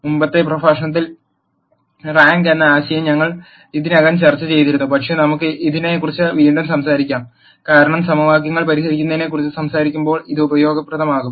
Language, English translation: Malayalam, We had already discussed the concept of rank in the previous lecture, but let us talk about it again, because this is going to be useful, as we talk about solving equations